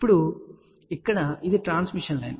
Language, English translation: Telugu, Now, this one here is a transmission line